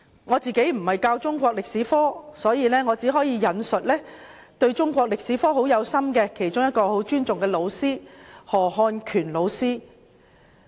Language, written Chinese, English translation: Cantonese, 我並非教授中史科，所以只可引述一位心繫中國歷史並備受尊重的老師——何漢權老師。, As I am not a Chinese History teacher I can only cite Mr HO Hon - kuen a well - respected teacher who is devoted to the teaching of Chinese history